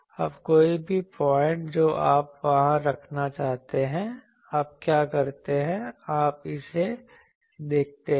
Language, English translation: Hindi, Now, any point you want to put there what you do, you see that